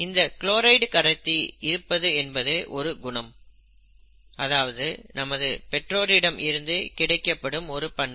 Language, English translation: Tamil, The presence of the chloride transporter is a character or a heritable feature, okay